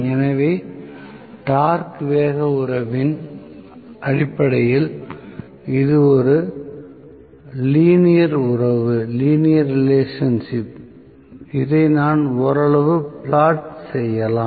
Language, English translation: Tamil, So, torque speed relationship is basically a linear relationship which I can plot somewhat like this